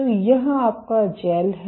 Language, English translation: Hindi, So, this is your gel